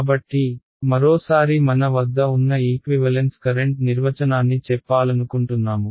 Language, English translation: Telugu, So, once again I want to say look at the definition of the equivalent current that I have